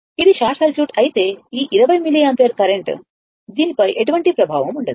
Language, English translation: Telugu, If this is short circuit this 20 milliampere current, it has no effect on this one